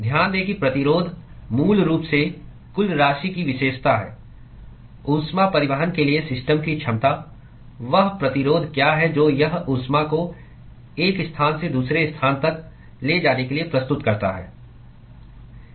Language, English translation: Hindi, Note that the resistance is basically characterizes the total amount the ability of the system to transport heat; what is the resistance that it offers to transportation of heat from one location to the other